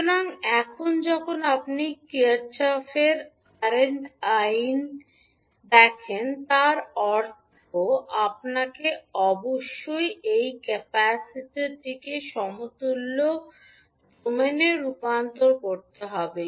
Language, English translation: Bengali, So now when you see Kirchhoff’s current law means you have to convert this capacitor into equivalent s domain